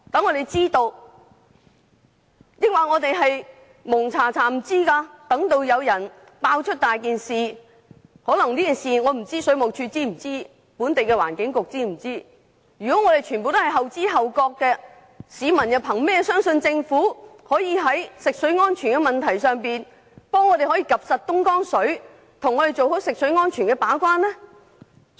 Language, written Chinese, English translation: Cantonese, 我不知道水務署及本地的環境局是否知悉上述事件，但當局如對所有事情均後知後覺，市民憑甚麼相信政府可在食水安全問題上為我們監察東江水的水質，做好食水安全的把關工作？, I do not know whether WSD and the Environment Bureau are aware of the incident I have mentioned . But if it is true that the authorities will not know of any incidents until after they have come to light how can the public believe that the Government can monitor the quality of Dongjiang River water to ensure water safety control for us?